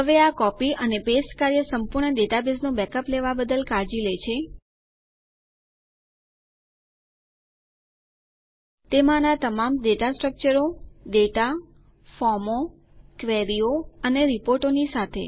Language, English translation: Gujarati, Now this single copy and paste action takes care of backing up the entire database: With all the data structures, data, forms, queries and reports in it